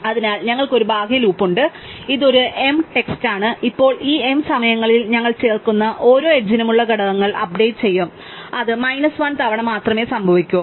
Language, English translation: Malayalam, So, we have an outer loop which runs m times, now among these m times we will update the components for each edge we add that will happen only n minus 1 times